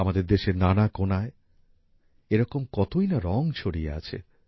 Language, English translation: Bengali, In our country, there are so many such colors scattered in every corner